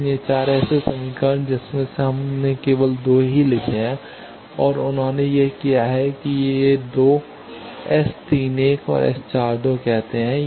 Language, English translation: Hindi, So, 4 such equations, out of that we have written only 2 and that has done that these 2 says S 31 and S 42 they should be equal